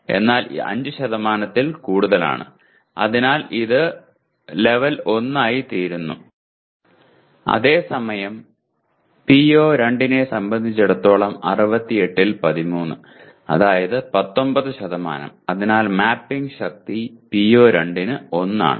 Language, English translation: Malayalam, And whereas with respect to PO2, 13 out of 68 that is 19% so the mapping strength is also 1 for PO2